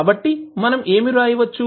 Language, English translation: Telugu, So what you can write